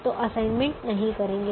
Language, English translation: Hindi, don't make an assignment